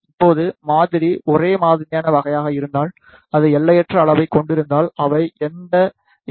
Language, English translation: Tamil, Now, if the sample is of homogeneous type and it is of infinite size, then they do not reflects any E M waves